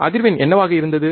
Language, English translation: Tamil, What was frequency